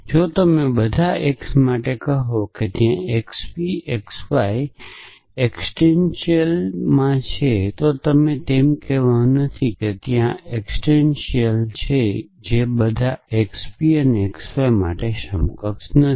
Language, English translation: Gujarati, So, if you say for all x there exists the y p x y this is not equivalent to saying that there exist a y thus that for all x p x y